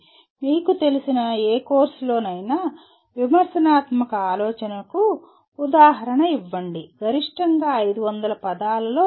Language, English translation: Telugu, And give an example of critical thinking in any of the courses you are familiar with, maximum 500 words statement